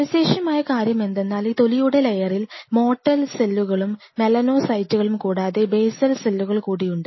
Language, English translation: Malayalam, The interesting part is this layer this layer contains some apart from other cells like mortal cells and melanocytes this layer contains something called basal cells